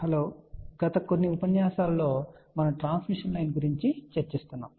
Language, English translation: Telugu, Hello, in the last few lectures we have been talking about transmission line